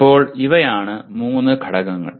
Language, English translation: Malayalam, Okay, these are the three elements of this